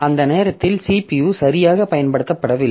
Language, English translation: Tamil, So, that time the CPU is not being properly utilized